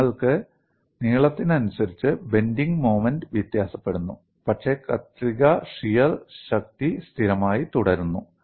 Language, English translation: Malayalam, You have the bending moment varies along the length, but the shear force remains constant